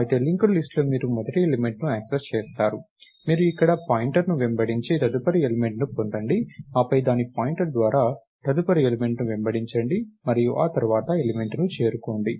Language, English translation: Telugu, However, in a linked list you access the first element; you chase the pointer here, and get the next element, then chase its pointer to the next element and get to the element after that and so, on